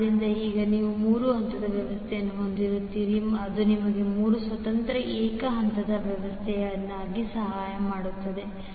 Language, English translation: Kannada, So, now, you will have 3 phase system which will give you also 3 independent single phase systems